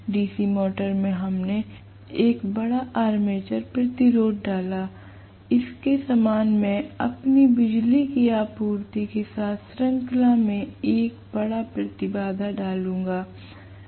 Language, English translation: Hindi, In DC motor we inserted a large armature resistance; similar to that I will insert a large impedance in series with my power supply